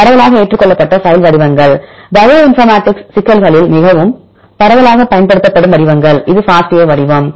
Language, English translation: Tamil, The widely accepted file formats are most widely used formats in the bioinformatics problems right this is FASTA format